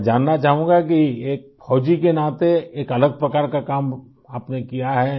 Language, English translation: Urdu, I would like to know as a soldier you have done a different kind of work